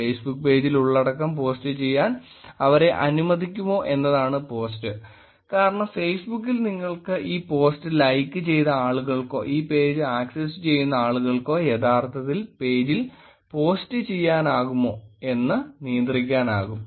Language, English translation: Malayalam, Post is whether they are allowed to actually post the content on the Facebook page, because on Facebook you can actually control whether the people who have liked the post or people who are accessing this page can actually post on to the page